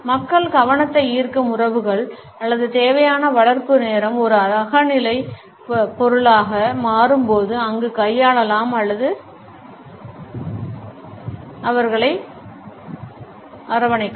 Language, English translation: Tamil, When people are relationships to mount attention or required nurture time becomes a subjective commodity there can be manipulated or stretched